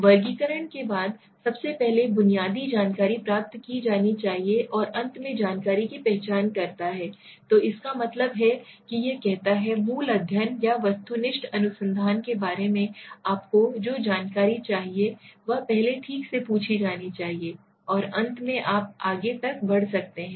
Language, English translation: Hindi, Type of information the basic information should be obtained first followed by the classification and finally identification information, so that means what, what does it saying is the basic information that you require about the study or the objective research should be asked first okay, and finally you can go prowess to the till the end